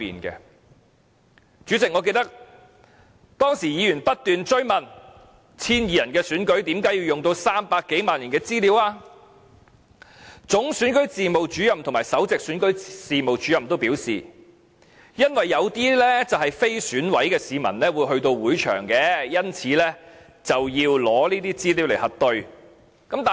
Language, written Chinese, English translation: Cantonese, 代理主席，我記得議員當時不斷追問 ，1,200 人的選舉為甚麼要用上300多萬人的資料，總選舉事務主任和首席選舉事務主任均表示，因為有些非選委的市民會到會場，因此，要以這些資料來核對。, Deputy Chairman I remember that Members kept asking at the meeting why an election with only 1 200 voters should need the information of more than 3 million people . The Chief Electoral Officer and the Principal Electoral Officer both said that the information was needed for verification purpose because some members of the public who were not members of the Election Committee might go to the election venue . We all dismissed this reply as very ridiculous